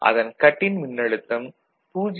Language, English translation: Tamil, When this voltage is 0